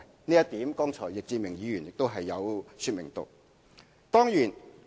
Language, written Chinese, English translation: Cantonese, 這一點剛才易志明議員亦有說明。, Mr Frankie YICK also explained this point just now